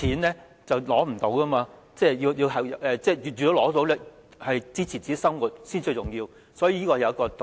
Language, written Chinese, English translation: Cantonese, 能申索金錢來支持自己的生活才是最重要，所以道理就在這裏。, The most important point is to claim the money to support ones living so herein lies the reason